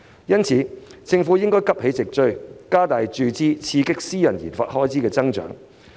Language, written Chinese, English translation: Cantonese, 因此，政府應急起直追，加大注資，以刺激私人研發開支的增長。, Hence the Government should catch up expeditiously by investing more to boost the growth of private RD expenditures